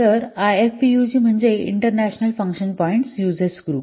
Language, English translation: Marathi, So, IF POG, it stands for International Function Points Users Group